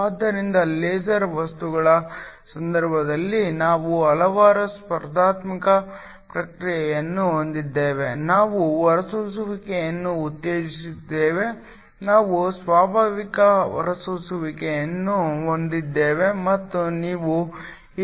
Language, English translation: Kannada, So, in the case of a laser material we have a number of competing process, we have stimulated emission, we have a spontaneous emission and we have absorption